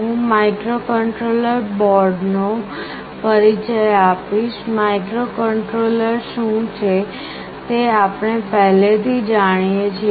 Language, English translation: Gujarati, I will introduce microcontroller boards, we already know what a microcontroller is